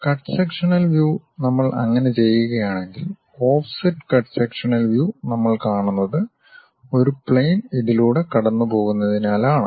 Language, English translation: Malayalam, If we do that the cut sectional view, the offset cut sectional view what we will see is because of a plane pass through this